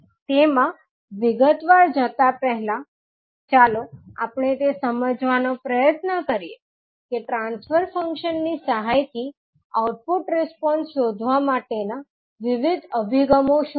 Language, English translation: Gujarati, So, before going into that detail, let us try to understand that what are the various approaches to find the output response with the help of transfer functions